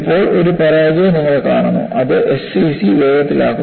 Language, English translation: Malayalam, And now, you see a failure which is precipitated by SCC